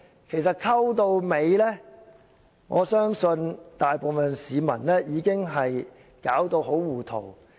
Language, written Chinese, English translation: Cantonese, 其實，混到最後，我相信大部分市民已經給弄到很糊塗。, In the end I believe the vast majority public will feel deeply confused